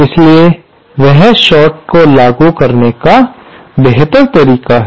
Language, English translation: Hindi, So, this is a better way of implementing a short